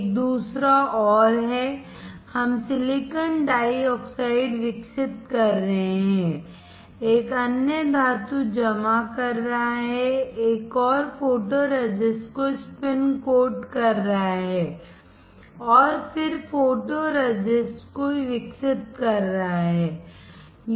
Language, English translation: Hindi, Another one is, we are growing silicon dioxide, another one is depositing metal, another one is spin coating the photoresist and then developing the photoresist